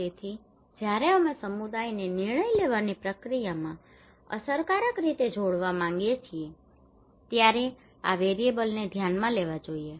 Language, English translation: Gujarati, So these variables should be considered when we want effectively to engage community into the decision making process